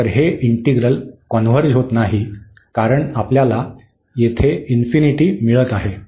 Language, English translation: Marathi, So, this integral does not converge because we are getting the infinity here